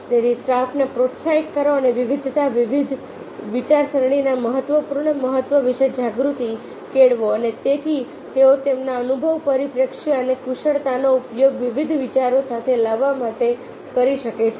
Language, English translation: Gujarati, so encourage the staff and base the awareness on critical importance of a diversity, divergent thinking and therefore they can use their experience, prospective and expertise to come with ah, come with different ideas and put the idea management system in place